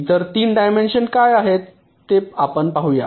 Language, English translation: Marathi, what are the other three dimensions